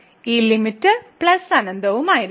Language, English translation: Malayalam, So, this limit will be also plus infinity